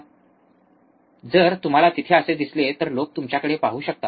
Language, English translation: Marathi, So, if you see there so, the people can also look at you yeah